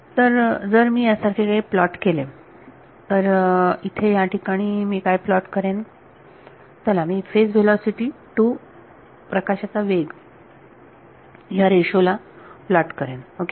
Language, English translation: Marathi, So, if I plot something like this; so, what will I plot over here, let me plot the ratio of the phase velocity to speed of light ok